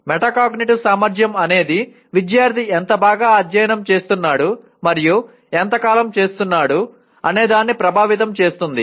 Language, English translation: Telugu, Metacognitive ability affects how well and how long the student study